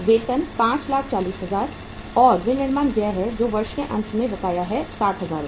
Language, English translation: Hindi, Wages are 5,40,000 and manufacturing expenses, outstanding at the end of the year that is 60,000 Rs